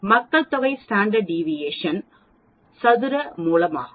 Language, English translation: Tamil, The population standard deviation of course, is square root of this